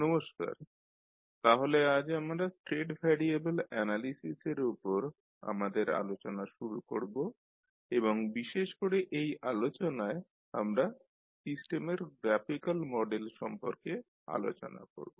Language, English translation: Bengali, Namashkar, so today we will start our discussion on state variable analysis and particularly in this session we will discuss about the graphical model of the system